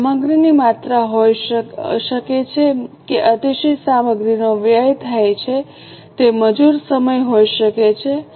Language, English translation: Gujarati, It can be material quantity, that excessive material is wasted, it can be labor hour